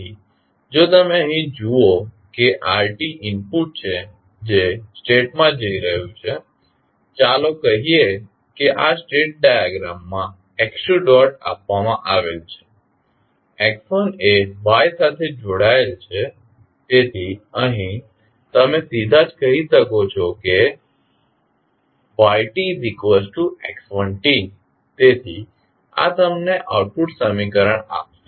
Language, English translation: Gujarati, So, if you see here r is the input it is going into the state let say this is the x2 dot given in the state diagram x1 is connected to y, so from here you can straight away say that y is nothing but equal to x1 t, so this will give you the output equation